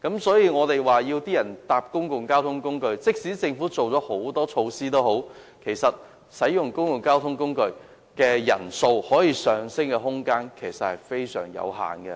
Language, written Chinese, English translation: Cantonese, 所以，即使政府推行很多措施鼓勵市民乘坐公共交通工具，其實使用公共交通工具的人數可上升的空間非常有限。, So even if the Government launches many measures to encourage the public to use public transport there is actually limited capacity for more people to use public transport